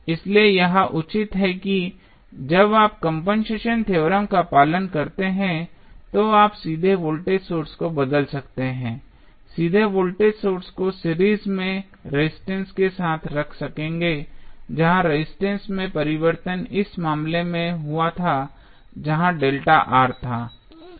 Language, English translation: Hindi, So, this justifies that, when you follow the compensation theorem, you can directly replace the voltage source, directly placed voltage source in series with the at the resistance where the change in resistance happened in this case it was delta R